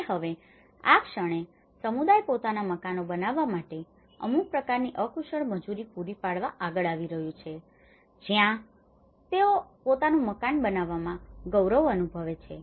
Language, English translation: Gujarati, And now, in this the moment, the community is coming forward to provide some kind of unskilled labour to make their own houses, where they feel dignity about making their own house